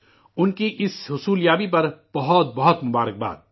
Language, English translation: Urdu, Many congratulations to her on this achievement